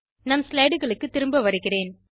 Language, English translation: Tamil, Let us go back to the slides